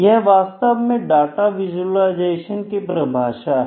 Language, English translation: Hindi, So, this is data visualisation